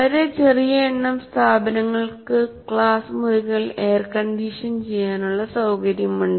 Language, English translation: Malayalam, And very small number of institutions have the facility to air condition the classrooms